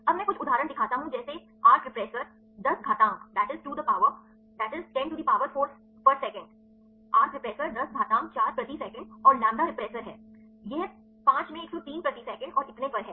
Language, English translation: Hindi, Now I show few examples like arc repressor is 10 to the power four per second and lambda repressor; it is 5 into 103 per second and so on